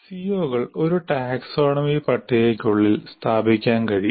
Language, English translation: Malayalam, Now these can be located inside a taxonomy table